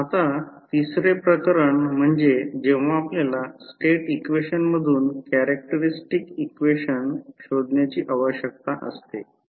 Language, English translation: Marathi, Now the third case, when you need to find out the characteristic equation from State equation